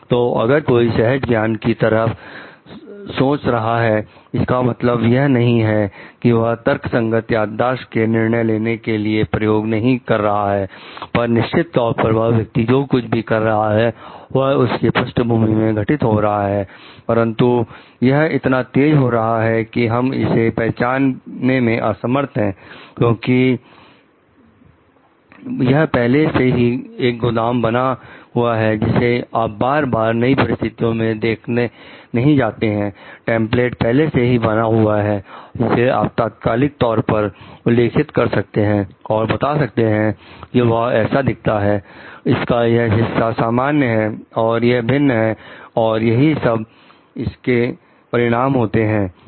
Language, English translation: Hindi, So, if somebody is thinking intuitively, doesn t mean like the always like the person is not referring back to any rational yardstick of deciding, but definitely the person is doing it which is a processing happening at the back, but it is happening so fast that, we may not be able to recognize it because, it has already become a storehouse which and you don t have to revisit it like new situations again and again a template has been formed, which you can refer to an immediately tell this is lookalike this part is common this part is different this is what may happen and these are the consequences of it